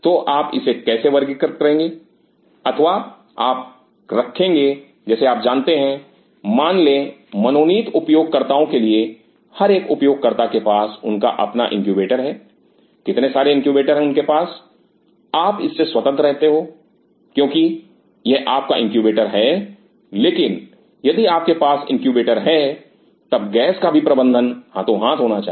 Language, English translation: Hindi, So, how you are going to classify it or you will have like you know suppose there for designated user each user has their own incubator how many incubators all of them you are free from it is your incubator, but then if you have the incubator then the gas management also should go in hand in hand